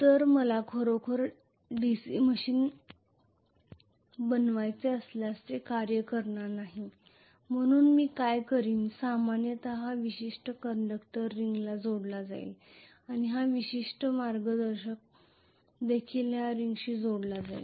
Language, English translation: Marathi, So that will not work really if I want to really constructed DC machine, so what I will do is normally this particular conductor will be connected to a ring and this particular conductor will also be connected to a ring